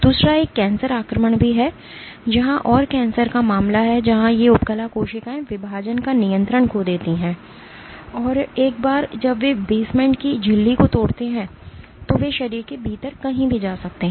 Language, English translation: Hindi, The other one is cancer invasion, where and cancer is the case where these epithelial cells they lose the control of division and once they breach the basement membrane they can go anywhere within the body